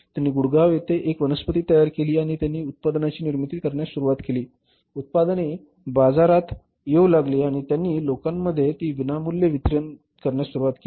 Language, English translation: Marathi, They had created a plant at Gurdgaon and they started manufacturing the product, product started coming to the market and they started distributing it free of cost to the people but finally people or the market rejected the product